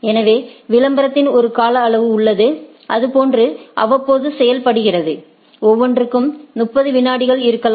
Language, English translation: Tamil, So, there is a period of advertisement that is how periodically it is done, one maybe one is every 30 seconds and so